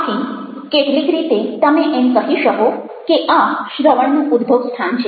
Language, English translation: Gujarati, so in some sense, you might say that this is the origin of listening